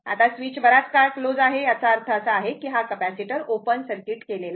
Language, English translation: Marathi, Now, switch is closed for long time; that mean this capacitor is open circuited, right